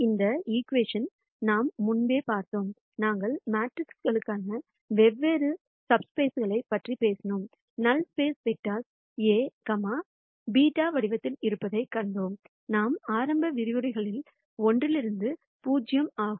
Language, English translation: Tamil, We have also seen this equation before, when we talked about different sub spaces for matrices; we saw that null space vectors are of the form A, beta is 0 from one of our initial lectures